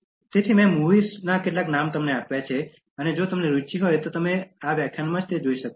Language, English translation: Gujarati, So, I have given some names of movies which if you are interested you can watch in the lecture itself